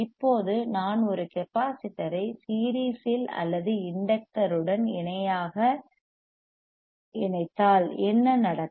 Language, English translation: Tamil, Now if I connect a capacitor or in series or in parallela fashion with the in the inductor, what will happen